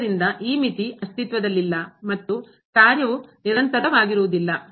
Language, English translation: Kannada, Hence, this limit does not exist and the function is not continuous